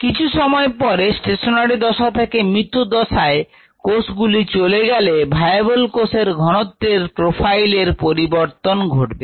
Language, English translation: Bengali, after some time, the stationary phase, you enter the death phase, which a will show up in the viable cell concentration profile